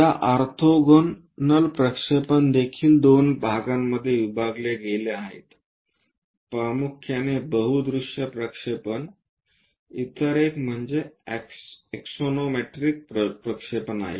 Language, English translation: Marathi, This, orthogonal projections are also divided into two parts mainly multi view projections, the other one is axonometric projections